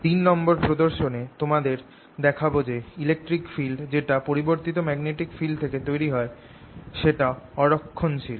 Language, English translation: Bengali, in this third demonstration i am going to show you that the electric field that is produced by changing magnetic field is non conservative